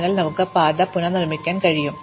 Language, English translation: Malayalam, So, that we can re constructs the path